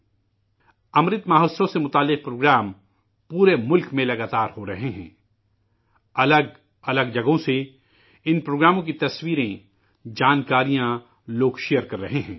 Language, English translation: Urdu, Programmes in connection with Amrit Mahotsav are being held throughout the country consistently; people are sharing information and pictures of these programmes from a multitude of places